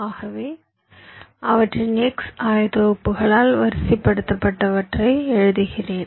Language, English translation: Tamil, so i am writing them sorted by their x coordinates